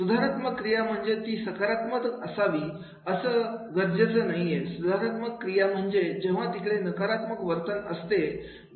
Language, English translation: Marathi, Corrective action is not necessarily positive, corrective action is required whenever there is a negative behavior is there